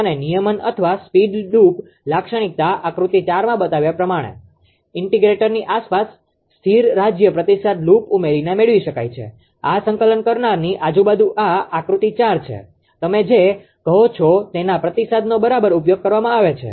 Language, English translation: Gujarati, And the regulation or speed droop characteristic can be obtained by adding a steady state feedback loop around the integrator as shown in figure 4, this is figure 4 around this integrator the steady state ah your what you call feedback is used right